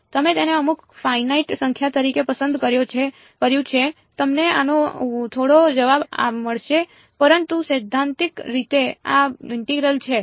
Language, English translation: Gujarati, You chose it to be some finite number you will get some answer to this, but theoretically this integral is divergent